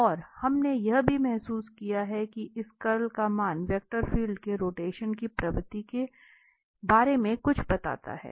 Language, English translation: Hindi, And we have also realized that the value of this curl tell something about the rotation, so, the tendency of the rotation of the vector field